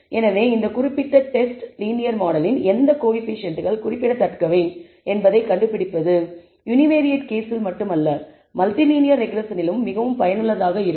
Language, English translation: Tamil, So, this particular test for finding which coefficients of the linear model are significant is useful not only in the univariate case but more useful in multi linear regression, where we are would not identify important variables